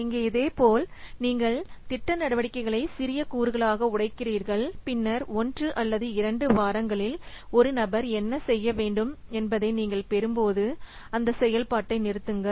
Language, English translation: Tamil, So here similarly, you break the project activities into smaller and smaller components, then stop when you get to what to be done by one person in one or two weeks